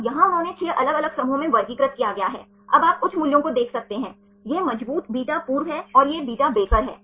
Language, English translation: Hindi, Now here are they classified 6 different groups, now you can see the high values, this is the strong beta formers and these are the beta breakers